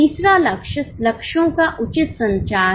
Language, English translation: Hindi, The third one is proper communication of goals